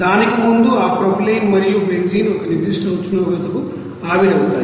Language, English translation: Telugu, And before that, those propylene and benzene will be you know vaporized to a certain temperature